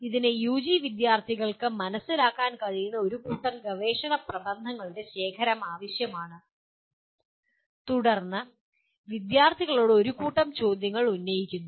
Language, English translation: Malayalam, It requires collection of a set of research papers that can be understood by the UG students and then posing a set of questions on that to the students